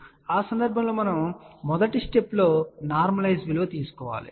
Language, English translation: Telugu, So, the first step in that case would be is we get the normalize value